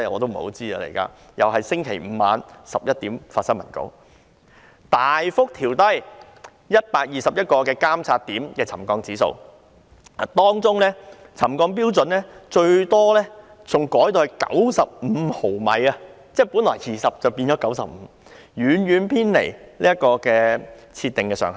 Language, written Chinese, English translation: Cantonese, 政府又是在星期五晚上11時才發出新聞稿，大幅調低121個監測點的沉降指標，當中，沉降標準最大幅度的更改達95毫米，是由20毫米更改為95毫米，遠遠偏離預設上限。, Again the Government issued the press release only at 11col00 pm on Friday to relax the trigger levels at 122 monitoring points substantially . Among them the greatest change of trigger level is to 95 mm that is from 20 mm to 95 mm so the deviation from the set threshold is very great